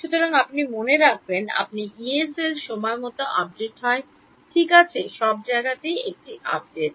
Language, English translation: Bengali, So, you remember your Yee cell there is an update in time, there is an update in space right